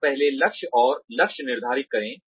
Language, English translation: Hindi, You first set goals and targets